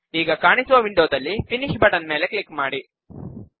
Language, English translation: Kannada, Click on the Finish button in the following window